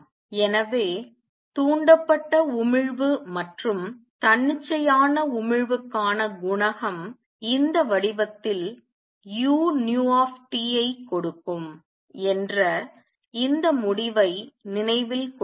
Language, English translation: Tamil, So, keep this result in mind that the coefficient for stimulated emission and spontaneous emission are as such that they give u nu T in this form